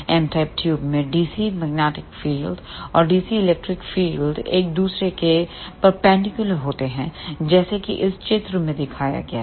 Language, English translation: Hindi, In M type tubes ah DC magnetic field and the DC electric fields are perpendicular to each other as shown by this figure